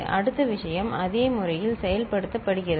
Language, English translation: Tamil, Same thing is implemented in the same manner